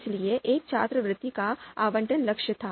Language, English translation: Hindi, So there, allocation of a scholarship that was the goal